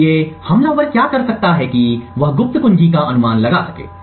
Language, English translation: Hindi, So, what the attacker could do is that he could create a guess of the secret key